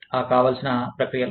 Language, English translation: Telugu, The processes involved